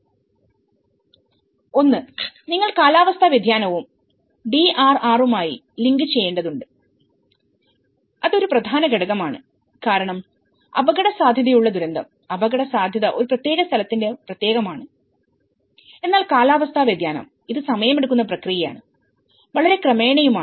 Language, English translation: Malayalam, One is, you need to link with the climate change and DRR, that is an important component because risk disaster, risk is specific to a particular place but climate change, it is a time taking process and it is very gradual, right